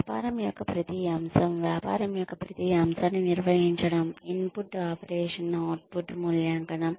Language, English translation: Telugu, Every aspect of the business, managing every aspect of the business, input, operation, output, evaluation